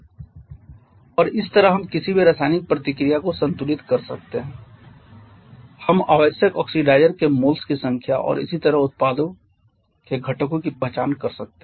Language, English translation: Hindi, And this way we can balance any chemical reaction we can identify the number of moles of oxidizer required and similarly the constituents of the products